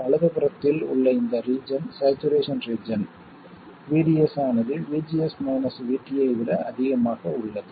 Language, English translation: Tamil, This part to the right is the saturation region where VDS is more than VGS minus VT